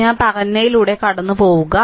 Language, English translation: Malayalam, You just go through what I told right